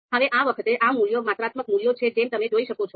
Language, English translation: Gujarati, Now this time these values are you know these are you know quantitative values you can see